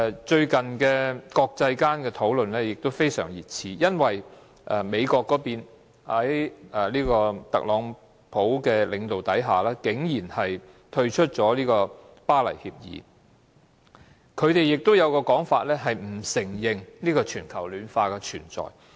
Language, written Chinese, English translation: Cantonese, 最近，國際間對全球暖化的討論非常熱熾，因為美國在特朗普領導下，竟然退出《巴黎協定》，他們的說法是，不承認全球暖化的存在。, Under the leadership of Donald TRUMP the United States surprisingly withdrew from the Paris Agreement for the reason that the Americans do not acknowledge the existence of global warming